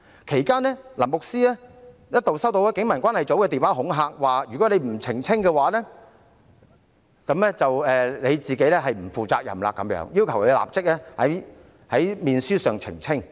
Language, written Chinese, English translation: Cantonese, 其間，牧師一度收到警民關係組的電話恐嚇，表示如果他不作出澄清，便是不負責任，要求他立即在面書上澄清。, During that time the priest received a call from the Police Community Relations Office which threatened him that if he did not make a clarification he was being irresponsible . He was asked to immediately make a clarification on Facebook